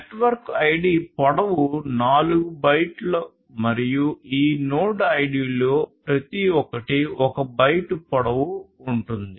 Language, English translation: Telugu, The network ID is of length 4 bytes and node ID each of these node IDs will have a length of 1 byte